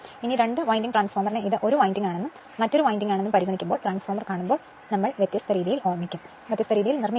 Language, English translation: Malayalam, But when you consider two winding transformer as if this is 1 winding and this is another winding, when you see the autotransformer we will make in different way right